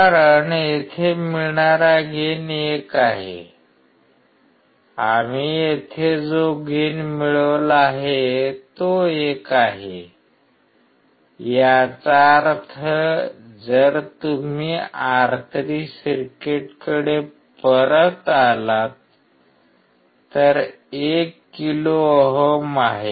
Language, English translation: Marathi, Because the gain here is 1, the gain that we have set here is 1; that means, if you come back to the circuit R3 is 1 kilo ohm